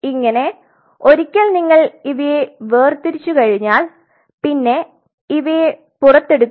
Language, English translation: Malayalam, Now once you separate the cells now you have to pull them out